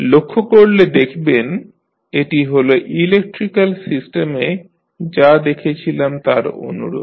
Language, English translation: Bengali, So, if you see it is similar to what we saw in case of electrical systems